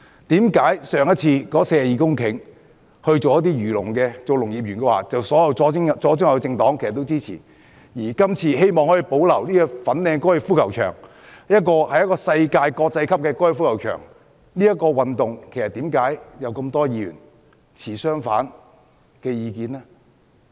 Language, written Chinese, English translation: Cantonese, 為何上次那42公頃的土地用作漁農業，發展農業園，所有左、中、右政黨也支持；而這次希望可以保留粉嶺高爾夫球場——一個國際級的高爾夫球場，卻又會有那麼多議員持相反意見呢？, So why the proposal of using the 42 hectares land for the development of the agriculture and fisheries industry and an Agri - Park was supported by Members from leftist centrist and rightist political parties but why so many Members hold opposing views this time around when some other people want to preserve the Fan Ling Golf Course―a world class golf course?